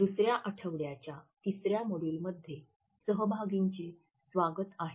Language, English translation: Marathi, Welcome dear participants to the third module of the second week